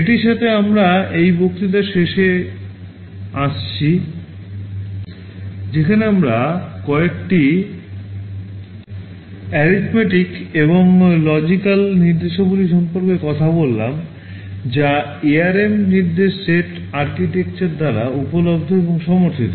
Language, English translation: Bengali, With this we come to the end of this lecture where we have talked about some of the arithmetic and logical instructions that are available and supported by the ARM instruction set architecture